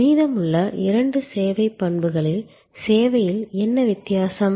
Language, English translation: Tamil, What is different in service at the two remaining service characteristics